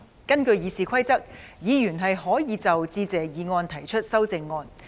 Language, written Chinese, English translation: Cantonese, 根據《議事規則》，議員可就致謝議案提出修正案。, Under the Rules of Procedure Members can propose amendments to the Motion of Thanks